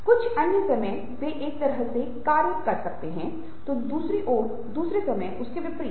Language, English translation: Hindi, some other times they can act in a way which are contradictory to one another